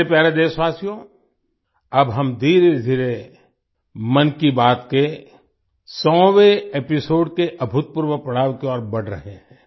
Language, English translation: Hindi, My dear countrymen, now we are slowly moving towards the unprecedented milestone of the 100th episode of 'Mann Ki Baat'